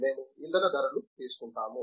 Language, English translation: Telugu, We will simply take fuel price